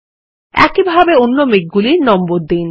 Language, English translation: Bengali, Similarly number the other clouds too